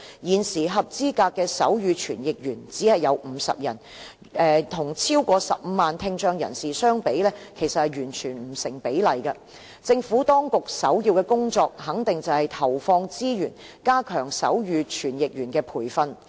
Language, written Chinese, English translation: Cantonese, 現時合資格的手語傳譯員只有50人，與超過15萬的聽障人士相比，其實完全不成比例，政府當局首要的工作肯定是投放資源加強手語傳譯員的培訓。, At present there are only 50 qualified sign language interpreters which is totally disproportionate to the 150 000 deaf people . Injecting resources in strengthening the training of sign language interpreters should definitely be a priority task of the Administration